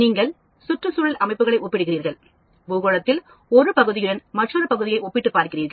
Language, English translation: Tamil, You are comparing ecological systems one part of their globe with another part of the globe